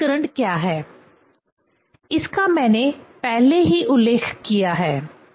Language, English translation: Hindi, So, what is eddy current that already I have mentioned